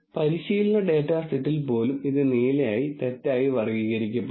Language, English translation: Malayalam, So, this would be misclassified as blue even in the training data set